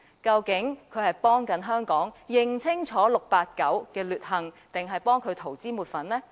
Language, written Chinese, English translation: Cantonese, 究竟他是在幫助香港人認清 "689" 的劣行，還是要為他塗脂抹粉呢？, What is supposed to be his job anyway―helping Hong Kong people to see the evil deeds of 689 or doing whitewashing for him?